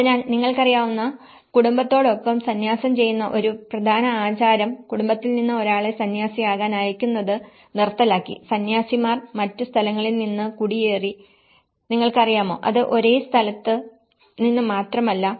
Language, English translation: Malayalam, So, again an important practice of monk practice with the family you know, sending a person from the family to become a monk has been discontinued and the monks have been migrated from other places, you know, it is not just from the same place